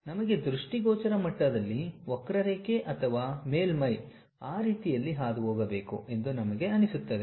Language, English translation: Kannada, For us at visual level we feel like the curve or the surface has to pass in that way